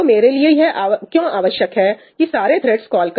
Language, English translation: Hindi, Why do I need to have all the threads making the call